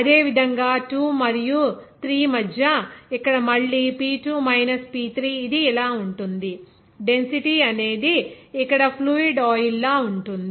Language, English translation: Telugu, Similarly, between you know 2 and 3, here again, P2 minus P3, it will be like this, density will be of fluid oil